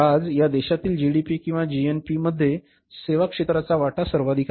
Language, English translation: Marathi, Today the services sector is the highest contributor in the GDP or GNP of this country